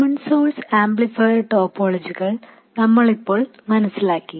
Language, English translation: Malayalam, We now understand the basic common source amplifier topology